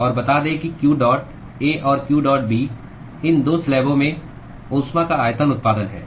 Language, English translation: Hindi, And let us say that the q dot A and q dot B are the volumetric generation of heat in these 2 slabs